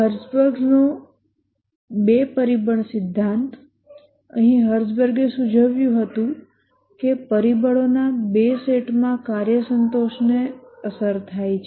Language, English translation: Gujarati, The Herzberg's two factor theory, here Herzberg suggested that two sets of factor affected job satisfaction